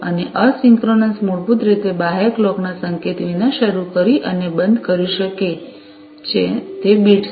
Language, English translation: Gujarati, And, asynchronous basically has start and stop bits that can be handled, without any external clock signal